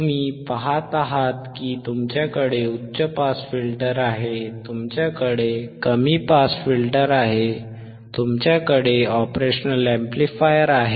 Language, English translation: Marathi, So now, wWhat you see is, you have a high pass filter, you have a low pass filter, you have the operational amplifier, you have the operational amplifier